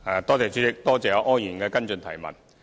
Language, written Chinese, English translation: Cantonese, 代理主席，多謝柯議員的補充質詢。, Deputy President I thank Mr OR for the supplementary question